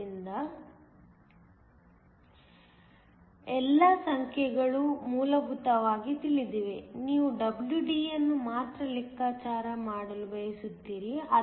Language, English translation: Kannada, So, all the numbers are essentially known; you only want to calculate WD